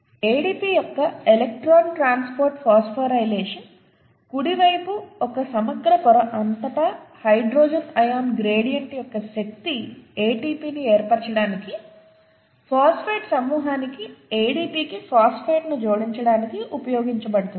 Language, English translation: Telugu, The electron transport phosphorylation of ADP, right, the energy of the hydrogen ion gradient across an integral membrane is used to add phosphate to the phosphate group to ADP to form ATP